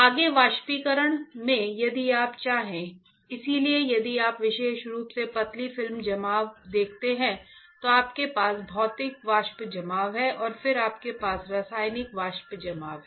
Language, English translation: Hindi, In evaporation further if you want to; so, if you see the film deposition in particularly thin film deposition, then you have physical vapor deposition and then you have chemical vapor deposition right